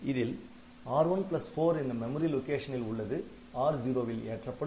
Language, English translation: Tamil, So, R0 gets content of memory location R1 plus 4